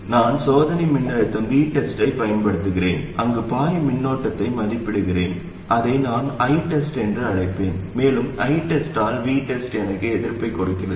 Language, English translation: Tamil, I apply a test voltage, V test, evaluate the current that is flowing there, which I'll call I test, and V test by I test gives me the resistance